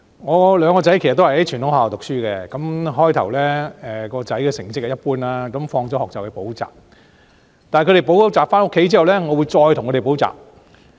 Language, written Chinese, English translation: Cantonese, 我兩個兒子其實都在傳統學校讀書，最初他們的成績一般，放學後便去補習，但他們補習回家後，我會再為他們補習。, In fact both of my sons attended traditional schools . Initially their academic results were mediocre and they attended private tutorial lessons after school . But when they had finished such lessons and came home I would further tutor them